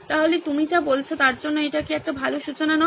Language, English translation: Bengali, So is that not a good starting point for whatever you are talking about